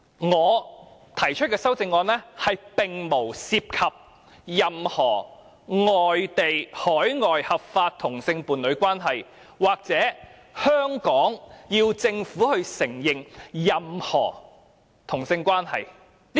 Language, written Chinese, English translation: Cantonese, 我提出的修正案並無涉及任何外地、海外合法同性伴侶關係，又或要求香港政府承認任何同性關係。, My amendment does not involve foreign or overseas legal same - sex partnership; nor does my amendment call on the Hong Kong Government to recognize any type of same - sex relationships